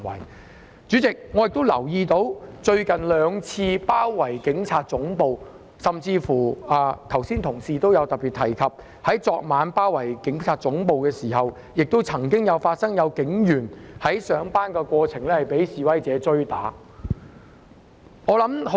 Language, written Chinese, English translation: Cantonese, 代理主席，我留意到最近兩次包圍警察總部的事件，以及有議員同事剛才特別提及在昨晚警察總部遭包圍期間，曾經發生警員在上班途中被示威者追打的情況。, Deputy President I noticed the two recent incidents involving the siege of the Police Headquarters and just now some Honourable colleagues also mentioned specifically instances of protesters chasing a police officer on his way to work to beat him up during the siege of the Police Headquarters last night